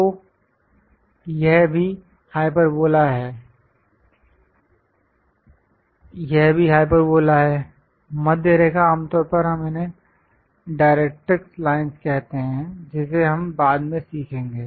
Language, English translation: Hindi, So, this is also hyperbola; this one is also hyperbola; the middle line usually we call this directrix lines, which we will learn later